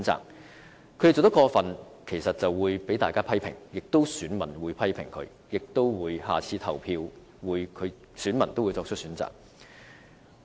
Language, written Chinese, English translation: Cantonese, 若他們做得過分，固然會受到大家的批評，選民會批評他們，而且下次表決時，自然會作出選擇。, But if they go too far they will come under criticism by not only other Members but also the voters who will naturally take this into consideration in their choices in the next election